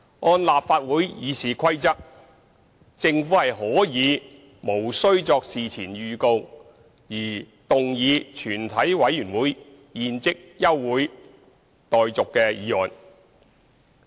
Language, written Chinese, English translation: Cantonese, 按照立法會《議事規則》，政府可以無需作事前預告而動議全體委員會現即休會待續議案。, In accordance with the Rules of Procedure of the Legislative Council the Government may move without notice that further proceedings of the committee be now adjourned